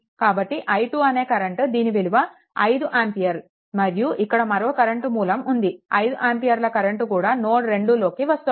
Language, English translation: Telugu, So, this is i 2 then this 5 ampere current also here, this is current source, this 5 ampere current also entering into node 2